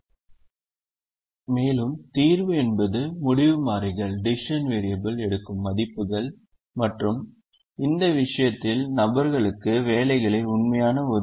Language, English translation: Tamil, again, solution means values that the decision variables takes and in this case, the actual allocation of jobs to persons